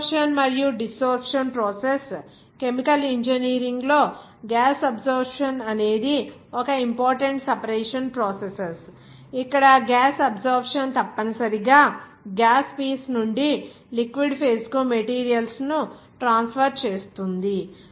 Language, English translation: Telugu, Absorption and desorption process the gas absorption is one of the important separation processes in chemical engineering, where gas absorption essentially involved the transfer of materials from the gas peace to the liquid phase